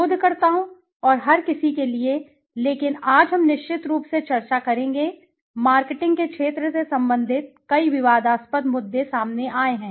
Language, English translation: Hindi, For researchers, and everybody, but today we will discuss on certain, there have been a lot of controversial issues relating to the field of marketing